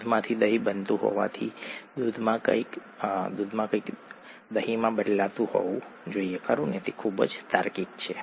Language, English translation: Gujarati, Since curd is forming from milk, something in the milk must be turning into curd, right, that’s very logical